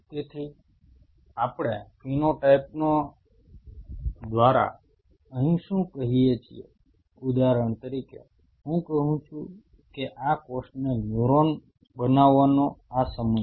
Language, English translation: Gujarati, So, what we mean by phenotype here is say for example, I say this cell is this time to become neuron